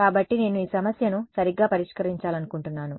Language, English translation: Telugu, So, what happens is that I want to solve this problem right